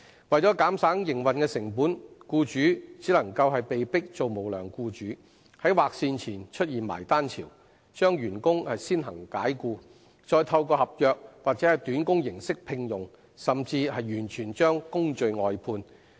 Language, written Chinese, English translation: Cantonese, 為減省營運成本，僱主只能被迫當"無良僱主"，在劃線前出現"埋單潮"，把員工先行解僱，再透過合約或短工形式聘用，甚至完全把工序外判。, In order to reduce operational costs employers are forced to become unscrupulous by first dismissing the employees before the cut - off date then re - hiring them on contract terms or on a short - term basis or even completely outsourcing their work processes